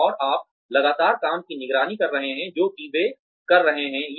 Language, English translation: Hindi, And you are constantly monitoring the work, that they are doing